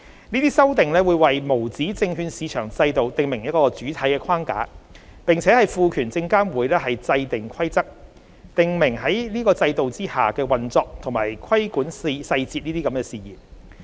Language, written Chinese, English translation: Cantonese, 這些修訂會為無紙證券市場制度訂明主體框架，並賦權證監會制訂規則，訂明在該制度下的運作及規管細節事宜。, The proposed amendments will provide for the broad framework of the USM regime under the Revised Model and empower SFC to make rules relating to the operational and detailed regulatory matters under the regime